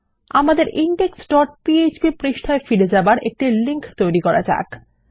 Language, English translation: Bengali, Let me create a link back to our index dot php page